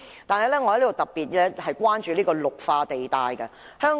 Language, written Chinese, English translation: Cantonese, 此外，我亦特別關注綠化地帶。, Furthermore I am particularly concerned about the green belt areas